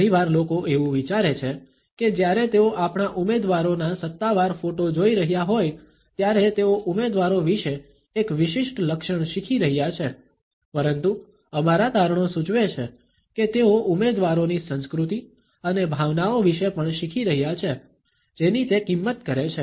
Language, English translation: Gujarati, Often people think that when they are viewing our candidates official photo, they are learning about the candidates a unique traits, but our findings suggest that they are also learning about the candidates culture and the emotions it values